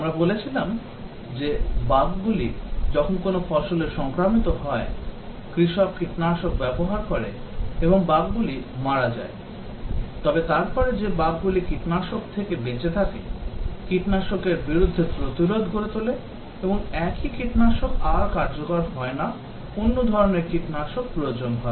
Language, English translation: Bengali, We said that when bugs infests a crop, farmer uses pesticides and bugs get killed, but then the bugs which survive a pesticide, develop resistance to the pesticide and the same pesticide is not effective any more, need other types of pesticides